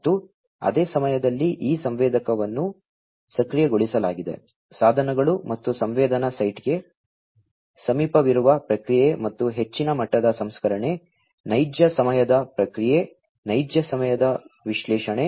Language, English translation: Kannada, And, also at the same time these sensing enabled, sensor enabled, devices and processing close to the site of sensing and you know higher degrees of processing, real time processing, real time analytics